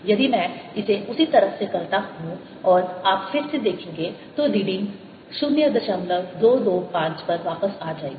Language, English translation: Hindi, if i do it from the same side and you will see again that the reading is back to point two, two, five